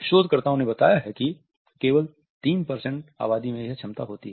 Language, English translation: Hindi, Researchers tell us that only about 3% of the population can have this capability